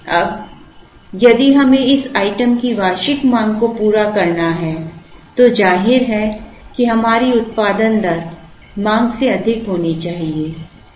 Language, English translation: Hindi, Now, if we have to meet the annual demand of this item, obviously our production rate has to be higher than the demand